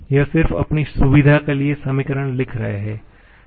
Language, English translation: Hindi, We are just writing the equations as for our convenience